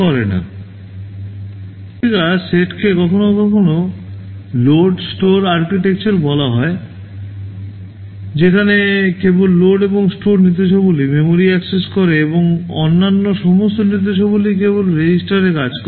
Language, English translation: Bengali, Thisese kind of instruction set is sometimes called load store architecture, that where only load and store instructions access memory and all other instructions they work only on the registers right